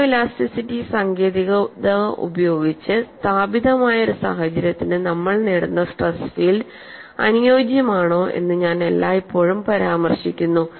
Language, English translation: Malayalam, I have always been mentioning, whatever the stress field that we obtain, whether they are suitable for a given situation was established by the technique of photo elasticity, then the question comes how